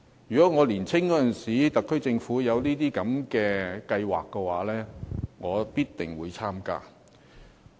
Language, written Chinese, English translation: Cantonese, 如果在我年青的時候，政府有這些計劃的話，我必定會參加。, If these programmes were available when I were young I would definitely join in